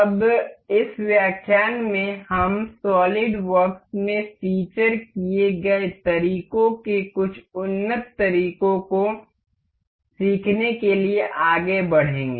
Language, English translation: Hindi, Now, in this lecture, we will go on some to learn some advanced methods of the methods feature featured in solid works